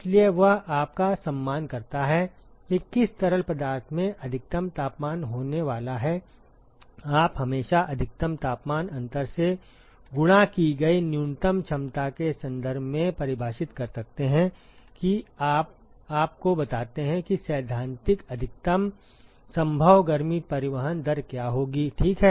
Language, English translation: Hindi, So, he respects you off which fluid is going to have maximal temperature you can always define in terms of the minimum capacity multiplied by the maximal temperature difference that you tell you what will be theoretical maximum possible heat transport rates, ok